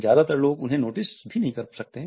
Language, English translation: Hindi, Most people do not even notice them